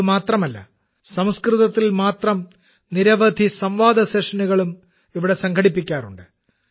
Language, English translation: Malayalam, Not only this, many debate sessions are also organised in Sanskrit